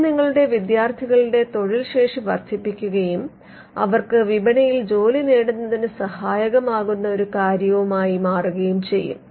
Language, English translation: Malayalam, Now, that could come as something that enhances the employability of your students and for them to get a job in the market